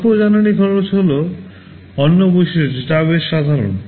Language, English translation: Bengali, Low energy consumption is another property which is pretty common